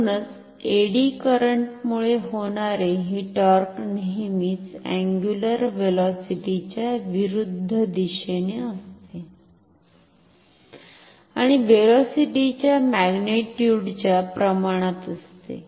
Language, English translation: Marathi, Therefore, this torque which is due to the eddy current, is always in the direction opposite to the angular velocity and is proportional to this magnitude of the velocity